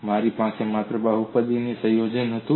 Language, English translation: Gujarati, I had only combination of polynomials